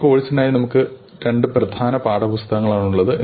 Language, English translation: Malayalam, We will be following two main text books